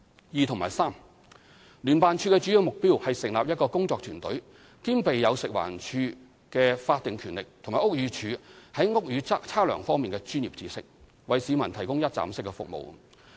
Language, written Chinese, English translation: Cantonese, 二及三聯辦處的主要目標是成立一個工作團隊，兼備有食環署的法定權力和屋宇署在屋宇測量方面的專業知識，為市民提供一站式服務。, 2 and 3 The main objective of JO is to provide a one - stop service to the public by setting up a working team with both the legal authority of FEHD and the building survey expertise of BD